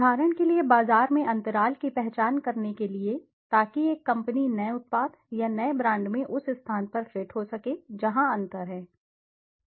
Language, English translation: Hindi, For example, to identify gaps in the market so that a company can may be fit in a new product or new brand in the space where there is a gap